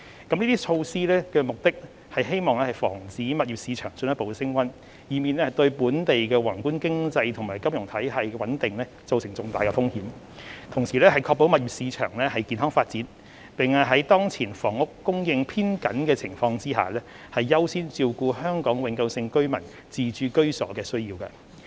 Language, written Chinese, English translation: Cantonese, 這些措施旨在防止物業市場進一步升溫，以免對本地宏觀經濟和金融體系的穩定造成重大風險；確保物業市場健康發展；並於當前房屋供應偏緊的情況下，優先照顧香港永久性居民自置居所的需要。, These measures aim to prevent further exuberance in the property market which may pose significant risks to our macroeconomic and financial stability to ensure the healthy development of the property market and to accord priority to home ownership needs of Hong Kong permanent residents amidst the prevailing tight housing supply